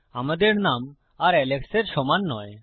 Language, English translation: Bengali, Our name doesnt equal Alex anymore